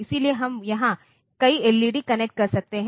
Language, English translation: Hindi, So, we can connect a number of LEDs here